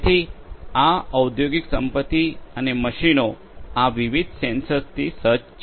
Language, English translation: Gujarati, So, these industrial assets and machines these are fitted with different sensors